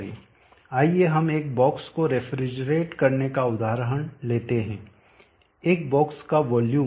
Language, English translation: Hindi, Let us take an example of refrigerating the volume of box